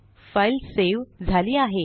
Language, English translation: Marathi, So the file is now saved